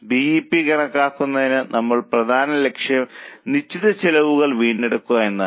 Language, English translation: Malayalam, For calculation of BP, our main goal is recovery of fixed costs